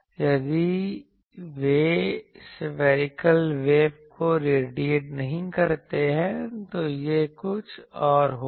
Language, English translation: Hindi, If they do not radiate spherical waves, this will be something else